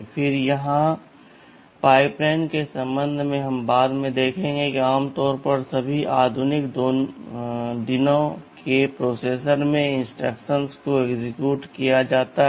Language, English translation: Hindi, Then with respect to the pipeline here we shall see later that instructions are typically executed in a pipeline in all modern day processors